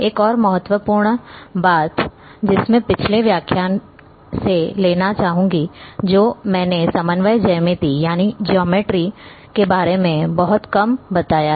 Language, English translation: Hindi, One more important thing, which I would like to bring in the previous lecture I have touched little bit about coordinate geometry